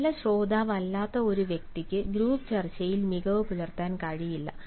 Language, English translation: Malayalam, a person who is not good listener cannot excel in a group discussion